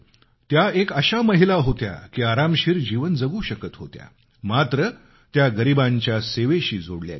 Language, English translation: Marathi, She was a woman who could live a luxurious life but she dedicatedly worked for the poor